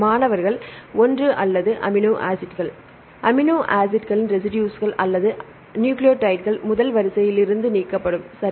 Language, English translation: Tamil, Amino acids residues or nucleotides are deleted from the first sequence, right